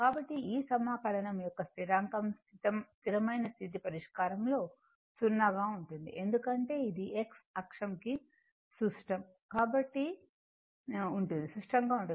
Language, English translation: Telugu, So, this constant of integration is 0 in the steady state solution as it is symmetrical about X axis